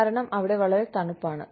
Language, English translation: Malayalam, Because, it is so cold